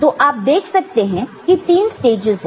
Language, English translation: Hindi, So, you can see three stages are there right